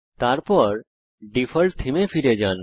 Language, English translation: Bengali, * Then switch back to the default theme